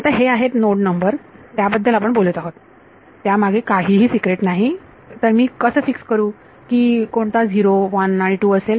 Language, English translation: Marathi, Now these are node numbers we only talking about node numbers there is nothing secret what is so, so how do how do I fix which is 0 1 and 2